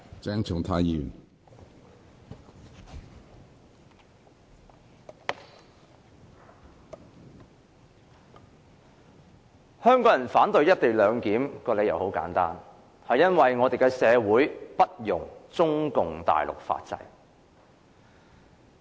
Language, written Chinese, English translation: Cantonese, 主席，香港人之所以反對"一地兩檢"，理由很簡單，便是因為香港社會不容中共大陸的法制。, President the reason why Hong Kong people oppose the co - location arrangement is simple . It is because the legal system of communist China is unacceptable to Hong Kong society